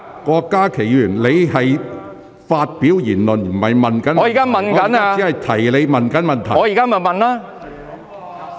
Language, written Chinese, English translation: Cantonese, 郭家麒議員，你正在發表議論，而非提出補充質詢。, Dr KWOK Ka - ki you are making comments rather than raising a supplementary question